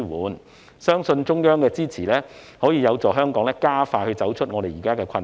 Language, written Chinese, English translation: Cantonese, 我相信中央的支持有助香港加快走出現時的困局。, I believe that the support from the Central Government will help Hong Kong emerge from the present predicament more speedily